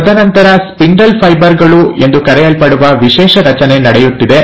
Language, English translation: Kannada, And then, there is a special structure formation taking place called as the spindle fibres